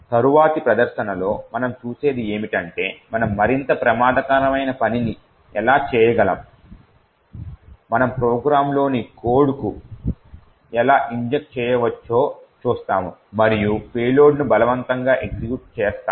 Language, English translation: Telugu, In the next demonstration what we will see is how we could do something which is more dangerous, we would see how we could actually inject code into a program and force a payload to the executed